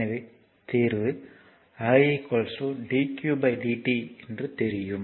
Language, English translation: Tamil, So, we know that i is equal to dq by dt